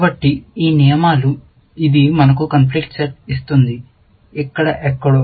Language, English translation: Telugu, So, these rules, this gives us the conflict set, here somewhere